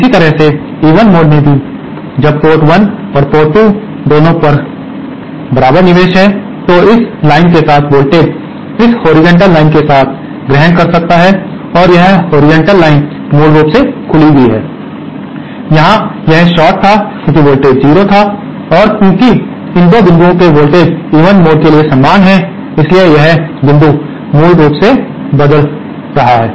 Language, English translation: Hindi, Similarly in the even mode, when the inputs are equal at both the port 1 and port 2, this line along the can assume the voltage along this horizontal line is this horizontal line is basically open, here it was a short because the voltage was 0 and because the voltages of these 2 points are same for the even mode, hence this point is basically floating